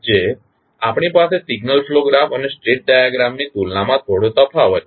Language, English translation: Gujarati, Which we have little bit difference as compared to signal flow graph and the state diagram